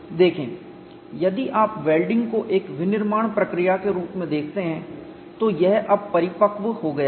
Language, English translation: Hindi, See, if you look at welding as a manufacturing process, it has matured now